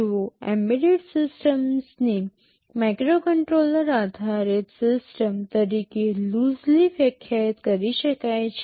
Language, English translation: Gujarati, Well embedded system can be loosely defined as a microcontroller based system